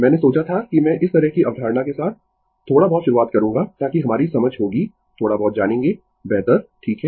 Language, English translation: Hindi, I thought that I will start little bit with this kind of concept such that your our understanding will be will be little bit you known better right